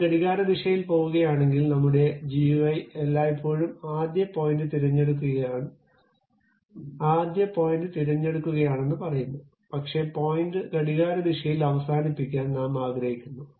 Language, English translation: Malayalam, If I am going to do clockwise direction, your GUI always says that you pick the first point, but you want to end the point in the clockwise direction